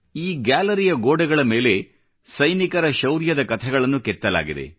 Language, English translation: Kannada, It is a gallery whose walls are inscribed with soldiers' tales of valour